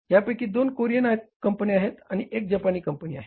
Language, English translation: Marathi, Two Korean companies and one Japanese company